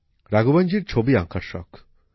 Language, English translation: Bengali, Raghavan ji is fond of painting